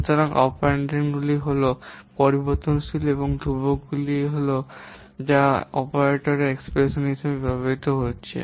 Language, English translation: Bengali, So, the operands are those variables and the constants which are being used in operators in expression